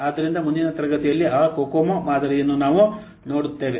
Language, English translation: Kannada, So in the next class we will see that Cocoa model